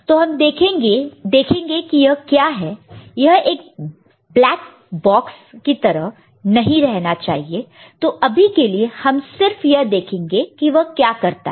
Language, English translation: Hindi, So, we shall see what is this it should not remain a black box, but for the time being let us see what does it do